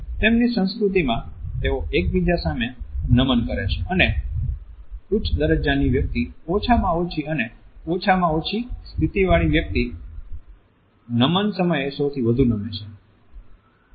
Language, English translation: Gujarati, Their culture allows them to bow to each other, and the person with the higher status bows the least and the one with the least status bows the most